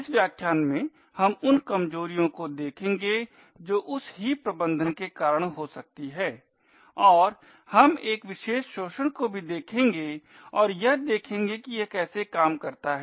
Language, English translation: Hindi, In this lecture we will look at vulnerabilities that may occur due to this heap management and we will also see one particular exploit and look at how it works